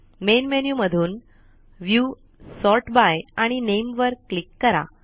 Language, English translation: Marathi, From the Main Menu, click on View, Sort by and Name